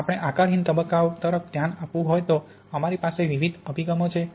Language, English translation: Gujarati, If we want to look at amorphous phase we have various approaches